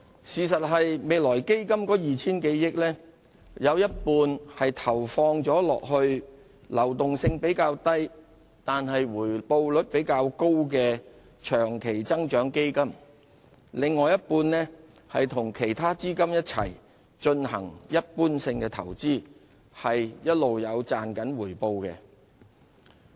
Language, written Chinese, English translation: Cantonese, 事實上，未來基金的 2,000 多億元當中，有一半投放在流動性較低但回報率較高的長期增長基金，另一半則與其他資金一起進行一般性投資，並一直有賺取回報。, In fact half of the 200 - odd billion of the Future Fund has been invested in long - term growth funds with lower liquidity but higher returns whereas the other half has gone into general investments which have been yielding returns